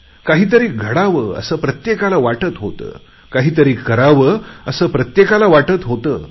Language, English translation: Marathi, Everyone wanted that something must happen, must be done